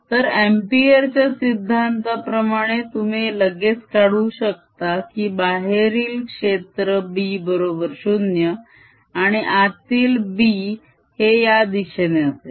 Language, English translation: Marathi, then by applying ampere's law you can easily figure out that b outside will be zero and b inside is going to be